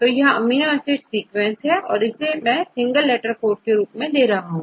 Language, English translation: Hindi, So, and this is amino acid sequence right, I give the amino acid sequence in single letter code right